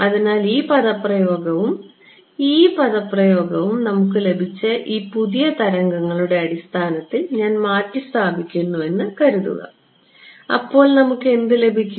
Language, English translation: Malayalam, So, this expression and this expression, supposing I substitute the E in terms of this new waves that we have got, what do we get